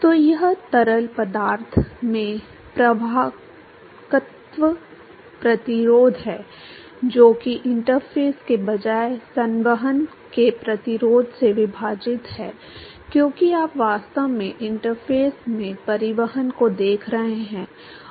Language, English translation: Hindi, So, it is the conduction resistance in fluid divided by resistance to convection at rather across the interface, because you are really looking at transport across the interface